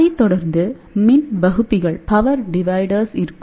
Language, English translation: Tamil, So, this will be followed by power dividers